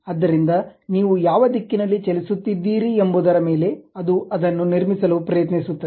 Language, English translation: Kannada, So, the direction along which you are moving it is try to construct that